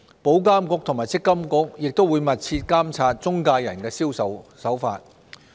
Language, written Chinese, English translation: Cantonese, 保監局和積金局亦會密切監察中介人的銷售手法。, IA and MPFA will also continue to closely monitor the point - of - sale conduct of intermediaries